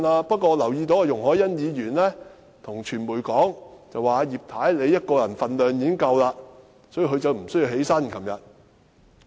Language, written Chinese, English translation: Cantonese, 不過，我留意到容議員對傳媒說，葉太一個人的分量已經足夠，所以她昨天無需站起來。, But Ms YUNG told the media that as Mrs IP herself was already a political heavyweight she did not need to stand up yesterday